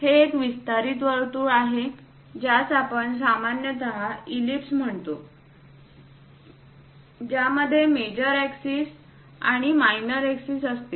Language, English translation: Marathi, This is elongated circle which we usually call ellipse, having major axis and minor axis